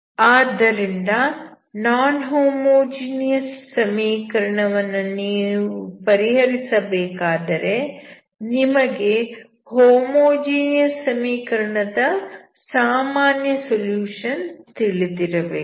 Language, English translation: Kannada, So, if you want to solve the non homogeneous equation, you should have general solution of the homogeneous equation